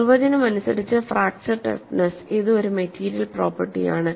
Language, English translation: Malayalam, So, when you say fracture toughness, it is a material property